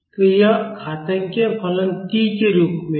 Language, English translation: Hindi, So, this exponential function is in terms of t